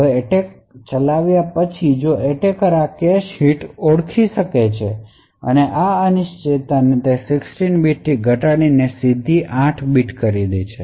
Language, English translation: Gujarati, Now after running the attacker if the attacker identifies this cache hit and obtains a relation like this uncertainty reduces from 16 bits to 8 bits